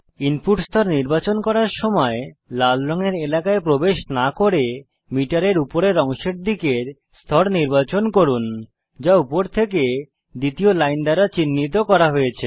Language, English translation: Bengali, When choosing the input level, select a level towards the upper portion of the meter without entering the red colored area, which is marked by the second line from the top